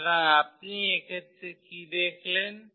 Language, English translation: Bengali, So, what do you observe in this case